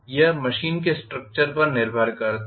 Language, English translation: Hindi, It depends upon the structure of the machine